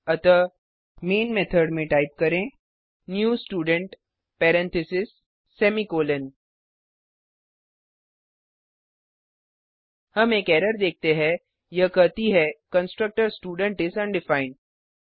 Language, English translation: Hindi, So in main method type new Student parentheses semi colon We see an error, it states that constructor Student is undefined